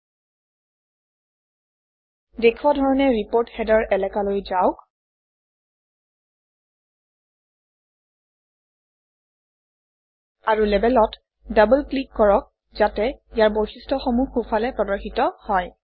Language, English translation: Assamese, Let us draw it on the Report Header area, as being shown now and double click on the Label to bring up its properties on the right